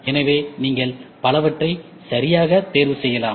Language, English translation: Tamil, So, you can choose many things right